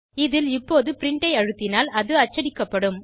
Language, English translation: Tamil, In this now if I say print it will go out and print it